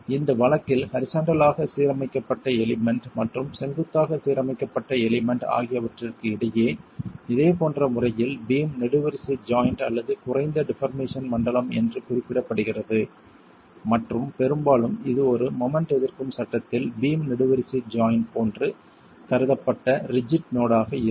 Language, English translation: Tamil, In this case, in a similar manner between the spandrel which is the horizontally aligned element and the vertically aligned element which is the pier you have the beam column joint or what is referred to as a zone of low deformation and often that is idealized as a rigid node like a beam column joint in a moment resisting frame